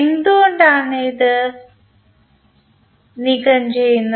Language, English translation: Malayalam, Why we remove it